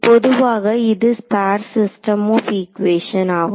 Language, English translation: Tamil, In general it is a sparse system of equations